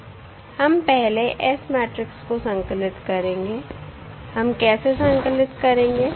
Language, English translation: Hindi, We will first compile the S matrix